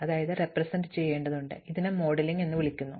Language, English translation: Malayalam, So, this is called modeling